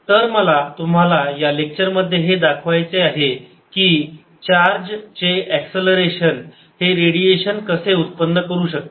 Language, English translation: Marathi, so now what we want to show is: and accelerating charge gives out radiation